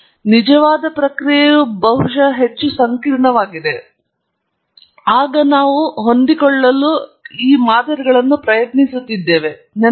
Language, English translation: Kannada, The actual process is far more complicated perhaps then the models that we are trying to fit; remember that